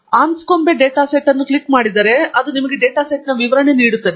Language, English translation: Kannada, If you click on the Anscombe data set, it gives you a description of the data set